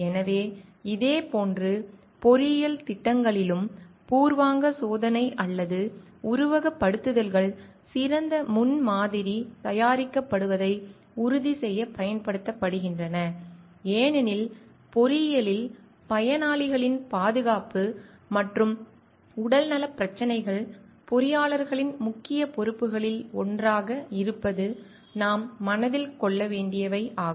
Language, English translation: Tamil, So, similarly in engineering projects also like preliminary test or simulations are conducted to make sure like the best prototype is prepared because, in engineering what we need to keep in mind like the safety and health issues of the beneficiaries are like one of the major responsibilities of the engineers